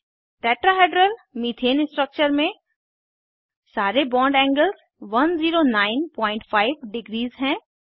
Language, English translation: Hindi, In Tetrahedral methane structure, all the bond angles are equal to 109.5 degree